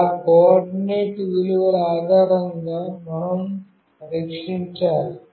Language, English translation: Telugu, Based on that coordinate values, we have to test